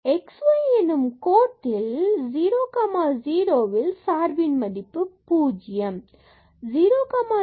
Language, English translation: Tamil, And the value is 0 when x y equal to 0 0